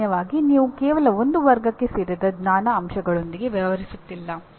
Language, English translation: Kannada, Generally you are not dealing with knowledge elements belonging to only one category